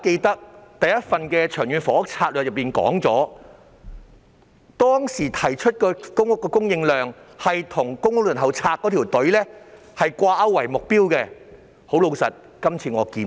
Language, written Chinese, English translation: Cantonese, 第一份《長遠房屋策略》提出的公屋供應量目標是與公屋輪候冊的輪候人數掛鈎，但這次我卻看不到。, The target of public rental housing supply proposed in the first Long Term Housing Strategy was linked with the number of applicants on the Waiting List but I have failed to see such linkage this time